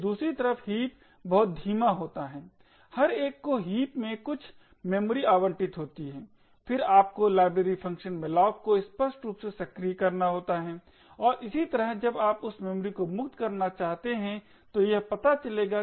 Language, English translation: Hindi, On the other hand heaps are extremely slow every one allocate some memory in the heap you have to explicitly invoke the library function malloc and similarly when you want to free that memory knew how to invoke the free call